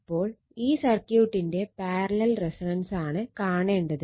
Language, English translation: Malayalam, So, this is you have to see the parallel resonance of the circuit